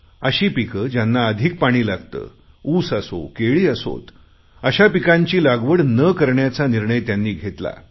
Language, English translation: Marathi, They have decided to give up cultivation of those crops that require a lot of water, like sugarcane and banana